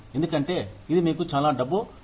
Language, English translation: Telugu, Because, it is bringing you, so much of money